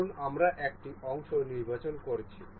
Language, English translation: Bengali, Suppose we are selecting a part